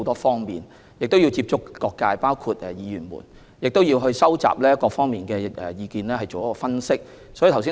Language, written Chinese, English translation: Cantonese, 他們要接觸各界人士，包括議員，以收集各方意見並進行分析。, They need to reach out to people from all walks of life including Members to collect opinions and conduct analyses